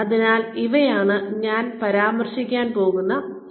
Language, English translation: Malayalam, So these are the sources that, I will be referring to